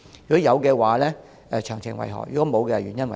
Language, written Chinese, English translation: Cantonese, 如有，詳情為何；如否，原因為何？, If so what are the details; if not what are the reasons for that?